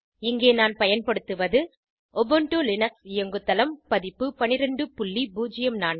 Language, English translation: Tamil, Here I am using Ubuntu Linux OS version